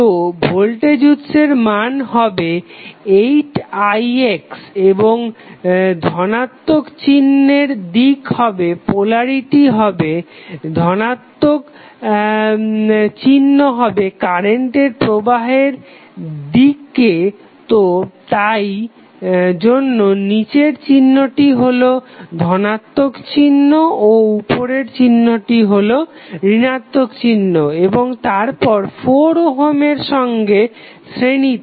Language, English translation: Bengali, So, the value of voltage source would become 2 into 4 that is 8i x and the direction of plus sign the polarity would be plus would be in the direction of flow of the current so that is why the below sign is plus up sign is minus and then in series with one 4 ohm resistance